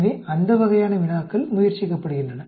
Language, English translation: Tamil, So that sort of problems are attempted